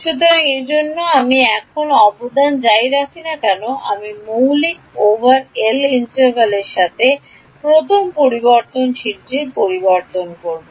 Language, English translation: Bengali, So, that is why I did not contribute now I have switched to the integral over element b first variable what will it be